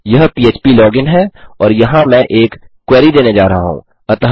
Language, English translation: Hindi, This is php login and here I am going to say give a query